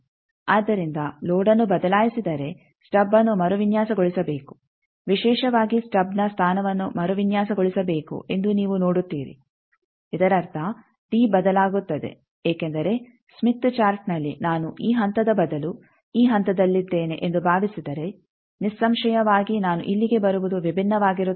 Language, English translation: Kannada, So, you see that if the load is changed then the stub to be redesigned particularly the position of the stub is to be redesigned; that means, that d will vary because in the smith chart because in the smith chart instead of this point in the smith chart instead of this point if suppose I am at this point then; obviously, my coming here will be different